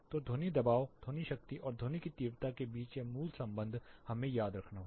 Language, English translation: Hindi, So, this basic relation between sound pressure sound power and sound intensity we have to be remembering